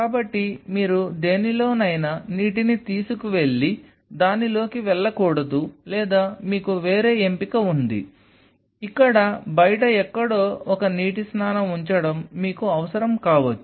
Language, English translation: Telugu, So, you do not want to carry water in something and go and in on it or you have other option is that you keep a water bath somewhere out here outside you may need one